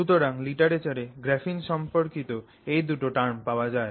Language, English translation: Bengali, So, in graphene literature you will find these two